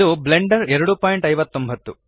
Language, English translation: Kannada, This is Blender 2.59